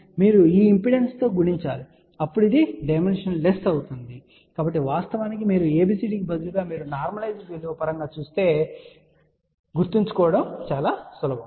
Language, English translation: Telugu, You multiply with this impedance, now this become dimensional so in fact, it is sometimes easier to remember instead of a writing capital ABCD if you write in terms of let us say normalized value